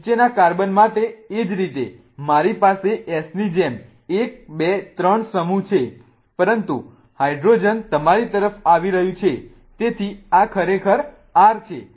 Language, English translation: Gujarati, The same way for the bottom carbon I have 1, 2, 3 moves like S but the hydrogen is coming towards you so this is R indeed